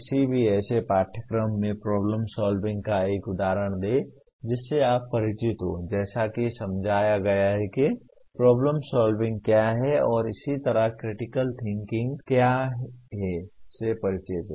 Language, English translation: Hindi, Give an example of problem solving in any of the courses that you are familiar with in the way you understand what is problem solving and similarly what is critical thinking as it is explained